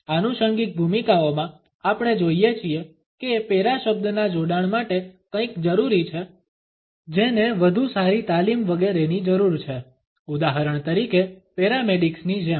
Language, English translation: Gujarati, In the ancillary roles we find that the association of the word para required something which needs better training etcetera, for example, as in paramedics